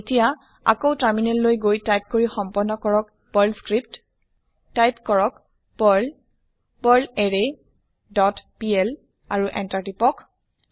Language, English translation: Assamese, Then switch to the terminal and execute the Perl script by typing perl perlArray dot pl and press Enter